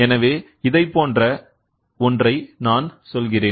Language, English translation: Tamil, So, I just say something like this